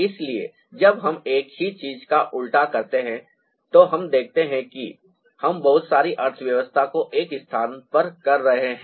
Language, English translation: Hindi, so when we do a reverse of the same thing, we see that we are ending up doing a lot of economy to a space